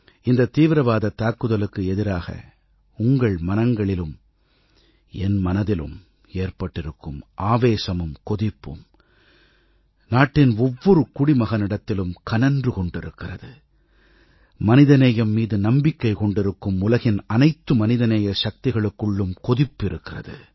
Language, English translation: Tamil, The outrage that singes your being and mine on account of the terrorizing violence replicates itself in the collective inner psyche' of every citizen of the country; it also echoes in prohumanity communities of the world, which sincerely believe in humanity